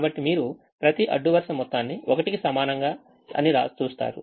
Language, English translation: Telugu, you see, the row sum is equal to one for each of this